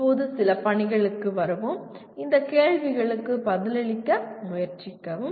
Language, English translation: Tamil, Now, coming to some assignments, try to answer these questions